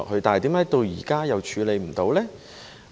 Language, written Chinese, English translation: Cantonese, 但是，為何到現在都處理不到呢？, But to date why is this still not yet done?